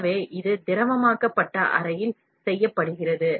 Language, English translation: Tamil, So, this is done in the liquefied chamber